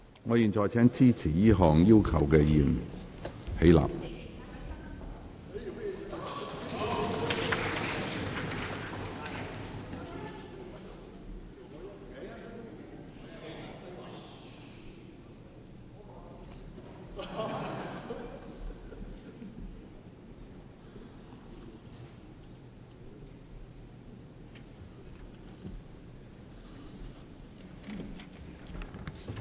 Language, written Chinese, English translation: Cantonese, 我現在請支持這項要求的議員起立。, I now call upon Members who support this request to rise in their places